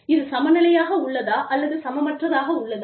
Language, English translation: Tamil, So, is it equal, or, is it equitable